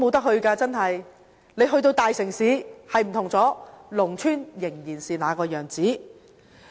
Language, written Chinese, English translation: Cantonese, 雖然大城市的情況已經不同，但農村仍然是那個樣子。, Despite the changes in big cities rural areas just stay the same